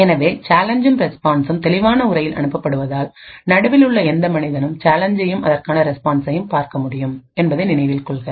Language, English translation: Tamil, So, note that we said that the challenge and the response is sent in clear text and therefore any man in the middle could view the challenge and the corresponding response